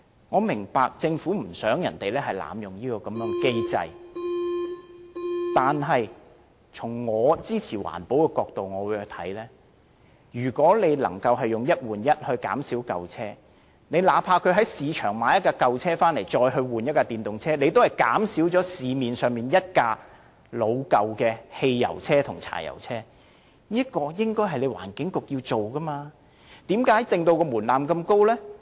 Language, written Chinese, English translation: Cantonese, 我明白政府不想市民濫用這個機制，但從支持環保的角度看來，如果能藉"一換一"減少舊車，那怕是在市場購入一輛舊車再以之更換一輛電動車，也能令市面上老舊的汽油車或柴油車減少一輛，這是環境局應做的事，為何要把門檻訂得這麼高呢？, I understand that the Government is trying to prevent abuse of the scheme but from the perspective of supporting environmental protection if the launching of the one - for - one replacement scheme can really help to phase out more old vehicles even though an applicant has chosen to purchase an old vehicle in the market and then replace it with an EV under the scheme this can still serve the purpose of reducing the number of old vehicles running on the road by one fuel - engined or diesel vehicle . This is what the Environment Bureau should do and what is the point of adopting a very high threshold for the scheme?